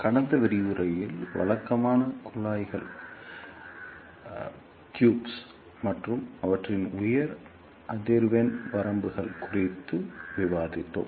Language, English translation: Tamil, Hello, in the last lecture, we discussed conventional tubes and their high frequency limitations